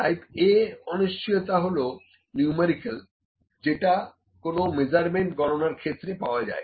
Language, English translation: Bengali, The type A uncertainty is the numerical uncertainty that is associated with an input to the computation of a measurement